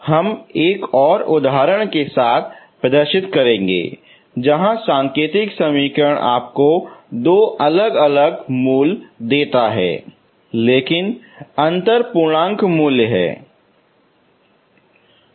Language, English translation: Hindi, So we will demonstrate with another example where the indicial equation give you two different roots but the difference is integer value